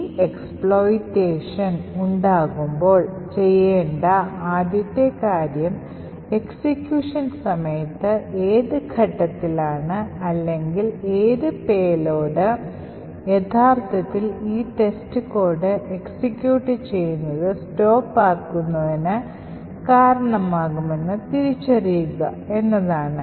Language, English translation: Malayalam, The first thing to actually do when creating this expert is to identify at what point during execution or what payload would actually cause this test code to stop executing